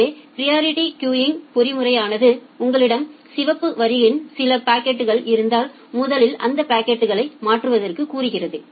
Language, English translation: Tamil, So, the priority queuing mechanism says that if you have some packets in the red queue you first transfer those packets